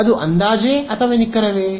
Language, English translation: Kannada, Is that approximate or exact